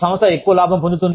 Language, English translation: Telugu, Organization makes, more profit